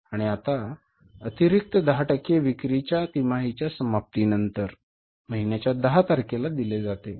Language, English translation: Marathi, And the additional 10% of sales is paid quarterly on the 10th of the month following the end of the quarter